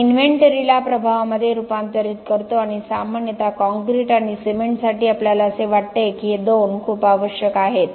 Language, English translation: Marathi, We convert the inventory into the impact and generally for concrete and cement we feel that this two are very much required